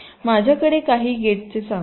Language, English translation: Marathi, let say i have some gates